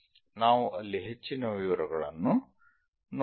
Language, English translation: Kannada, Let us look at more details there